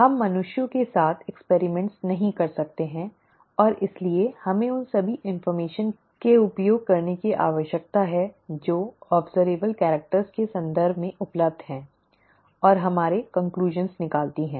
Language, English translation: Hindi, We cannot go and do experiments with humans and therefore we need to use all the information that is available in terms of observable characters and draw our conclusions